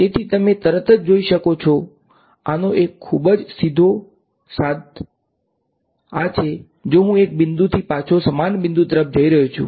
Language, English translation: Gujarati, So, you can see immediately a very straightforward corollary of this is that if I am going from one point back to the same point right